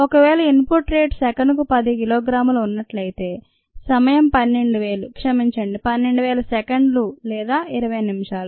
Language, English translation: Telugu, if the input rate happens to be ten kilogram per second, the time would be twelve thousand sorry, thousand two hundred seconds or a twenty minutes